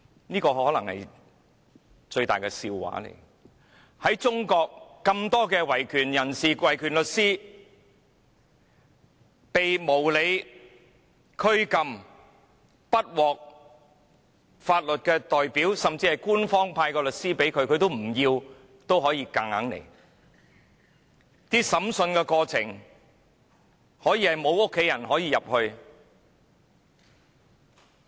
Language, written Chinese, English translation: Cantonese, "這可能是最大的笑話，在中國有那麼多維權人士和律師，被無理拘禁，無法聘得法律代表，甚至強行由官方派出的律師作為其代表，而在審訊過程中，家人完全無法參與。, This may be the biggest joke . So many human rights activists and lawyers in China were unreasonably detained unable to hire any legal representative . They were even forced to accept lawyers assigned by the authorities as their representatives